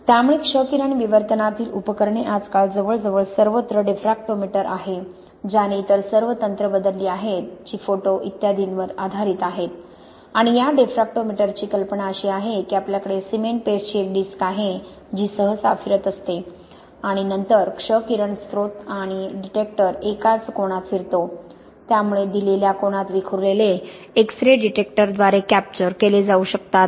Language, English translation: Marathi, So the apparatus in X ray diffraction is nowadays almost universally the diffractometer which replaced all other techniques which are based on photos etc and the idea of this diffractometer is we have a disk of cement paste which is usually spinning and then X ray source and the detector move at the same angle, so we get, the X rays which are diffracted at a given angle can be captured by the detector